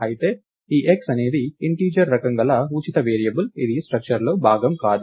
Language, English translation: Telugu, Whereas, this x is a free variable of the type integer, its not part of the structure